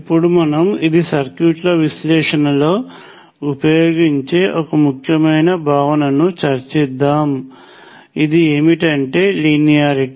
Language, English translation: Telugu, Now, I will discuss an important concept, which will revisit later in the context of circuits it is linearity